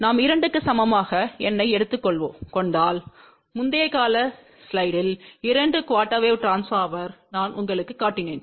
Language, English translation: Tamil, If we took n equal to 2, this is what I was I had shown you in the previous slide that two quarter wave transformer